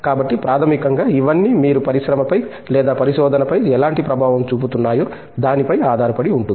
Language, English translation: Telugu, So, basically it all depends on what kind of an impact that you are making either on the industry or on the research